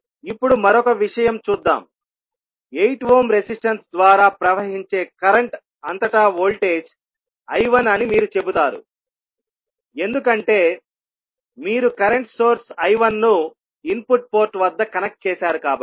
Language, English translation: Telugu, Now if you simplify, you will get the value of the now, let us see another thing when you are saying that voltage across the current flowing through 8 ohm resistance is I 1 because you are connecting the current source I 1 at the input port